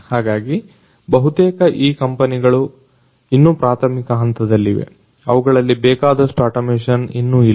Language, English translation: Kannada, So, most of this companies are still in the primitive stages they are they still do not have you know adequate automation in them